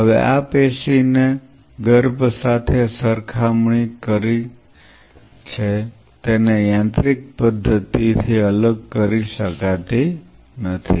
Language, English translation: Gujarati, Now this tissue has compared to the fetal one cannot be dissociated by so, mechanical root